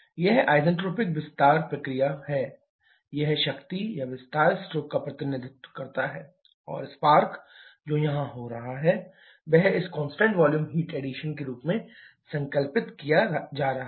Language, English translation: Hindi, This isentropic expansion process, the representative of this power or expansion stroke, the spark which is happening here that is being conceptualized in the form of this constant volume heat addition